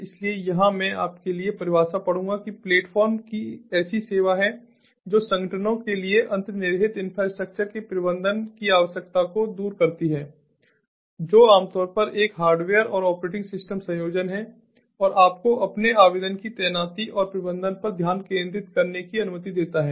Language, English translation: Hindi, platform is a service removes the need for organizations to manage the underlying infrastructure, which is usually a hardware and operating system combination, and allows you to focus on the deployment and management of your application